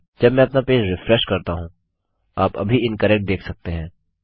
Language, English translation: Hindi, When I refresh my page you can see incorrect at the moment